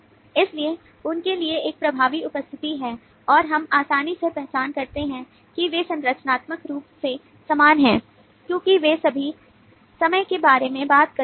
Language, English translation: Hindi, so there is a dominant presence for them and we can easily identify that they are structurally similar because all of them talk about time, so we can say that these are the temporal